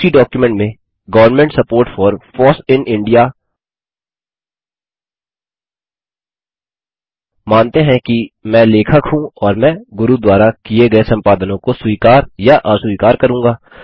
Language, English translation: Hindi, In the same document, Government support for FOSS in India.odt, lets assume I am the author and will accept or reject the edits made by Guru